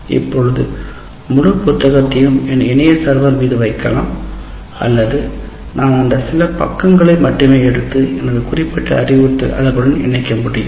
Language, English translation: Tamil, Now I can put the entire book on that, onto the, what do you call, on my server, or I can only take that particular few pages and link it with my particular instructional unit